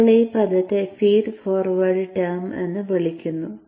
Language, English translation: Malayalam, So this is called feed forward term